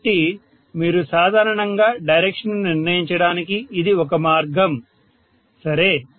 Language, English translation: Telugu, So that is a way, you generally determine the direction, okay